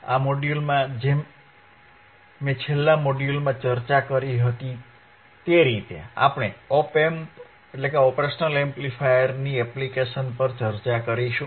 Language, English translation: Gujarati, iIn this module, like I discussed in the last module, we will be discussing the application of oan op amp